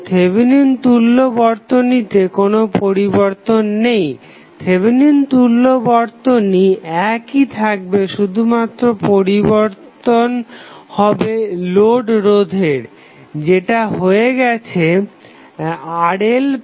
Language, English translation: Bengali, So, there is no change in the Thevenin equivalent, Thevenin equivalent will remain same, the only change would be the load resistance that is now Rl plus delta R